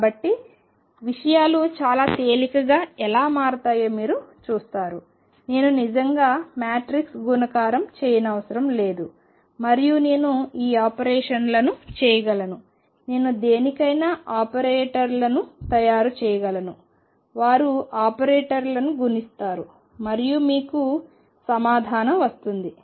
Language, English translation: Telugu, So, you see how things become very easy I do not really have to do matrix multiplication all the time and I can perform these operations, I can make operators for anything, they just multiply the operators and you get the answer